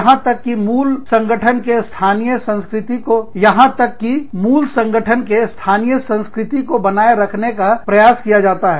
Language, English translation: Hindi, And, even if the, an attempt is made, to maintain the culture of the local of the parent organization